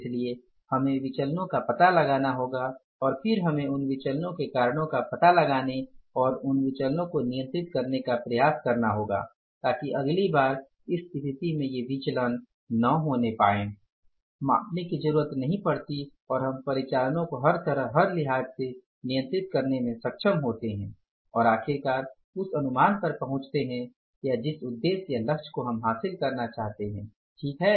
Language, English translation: Hindi, So, we have to find out the variances and then we will have to try to find out the reasons for the variances and control those variances so that next time these variances do not occur, the situation do not, means does not arise and we are able to control the operations in every respect in every sense and finally arrive at the estimates which we want to miss the targets, the goals, the objectives which we want to achieve